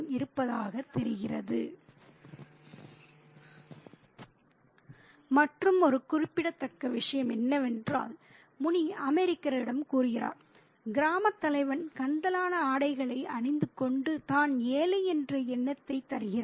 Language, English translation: Tamil, And the other significant thing is that Muni tells the American that the village headman dresses in Rex just to give the impression that he is poor